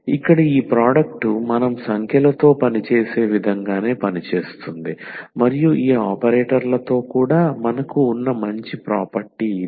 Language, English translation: Telugu, So, here this product is working as the same as we work with the numbers and that is the nice property we have with these operators also